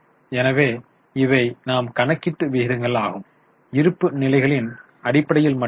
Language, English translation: Tamil, So these were the ratios which we have calculated only based on balance sheet